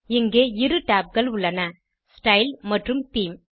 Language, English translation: Tamil, Here, there are two tabs: Style and Theme